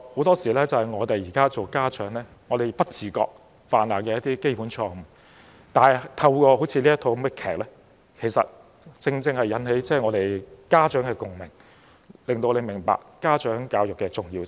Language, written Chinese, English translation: Cantonese, "這是我們身為家長的很多時候不自覺犯下的基本錯誤，但透過這齣音樂劇，正正引起家長的共鳴，令我們明白家長教育的重要性。, That is a fundamental mistake which we parents often make inadvertently . This musical brings out experiences with which parents can identify and makes us understand the importance of parental education